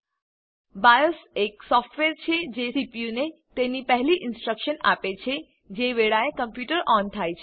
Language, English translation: Gujarati, BIOS is the software which gives the CPU its first instructions, when the computer is turned on